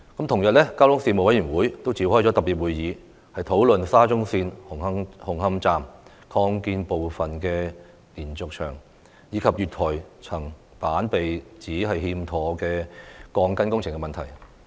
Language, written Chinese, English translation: Cantonese, 同日，交通事務委員會也召開特別會議，討論沙中線紅磡站擴建部分的連續牆及月台層板被指欠妥的鋼筋工程問題。, On the same day the Panel on Transport also held a special meeting to discuss issues relating to the alleged defective reinforcement works at the diaphragm wall and platform slab of the Hung Hom Station Extension of SCL